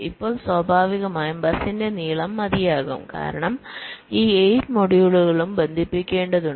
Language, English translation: Malayalam, now, naturally, the length of the bus will be long enough because it has to connect all this eight modules